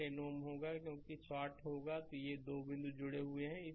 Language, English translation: Hindi, This 10 ohm will be there, because it will be shorted these 2 point is connected